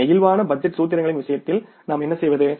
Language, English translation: Tamil, What we do in case of the flexible budget formulas